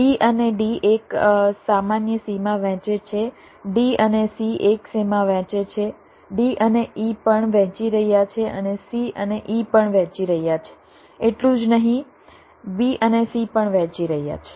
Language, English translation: Gujarati, b and d is sharing a common boundary, d and c is sharing a boundary, d and e is also sharing, and c and e is also sharing